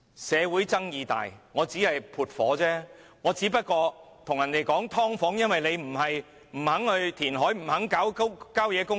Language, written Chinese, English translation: Cantonese, 社會爭議大，她只是撥火，只對人說香港有"劏房"問題，因為大家不肯填海，不肯發展郊野公園。, She will only fan the flame when social disputes occur . She says subdivided units have emerged simply because people refuse to do reclamation and develop country parks